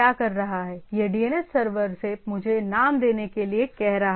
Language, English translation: Hindi, It is asking the DNS server give me the names